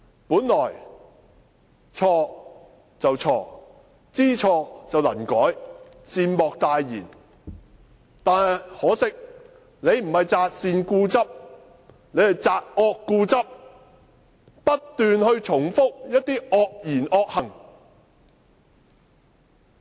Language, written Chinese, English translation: Cantonese, 本來錯了便錯，知錯能改，善莫大焉，但可惜，他不是擇善固執，而是擇惡固執，不斷重複一些惡言惡行。, To err is human . When the damage weve done is irreversible correcting the mistake is basically the best thing to do . Unfortunately he holds onto what is bad instead of what is good and keeps repeating some vicious words and deeds